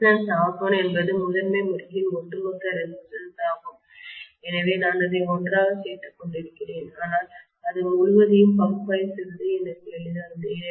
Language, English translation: Tamil, The resistance R1 is the lumped resistance of the primary winding so I am lumping it together so that it is easy for me to analyse the whole thats it